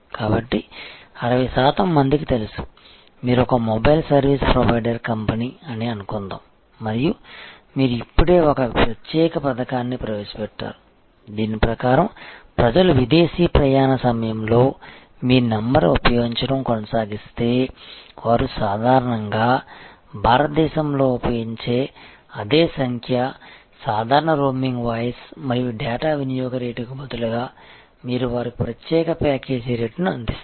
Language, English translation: Telugu, So, 60 percent people are aware, suppose you are a mobile service provider company and you have just now introduced a particular scheme under which, that if people continue to use your number during foreign travel, the same number that they normally use in India, you will offer them a special package rate instead of the normal quite high global roaming voice and data usage rate